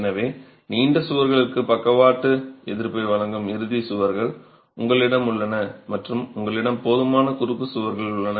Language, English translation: Tamil, So, you have the end walls which provide lateral resistance to the long walls and you have enough number of cross walls